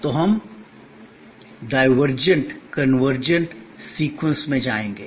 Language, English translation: Hindi, So, we will go divergent convergent, divergent convergent in sequence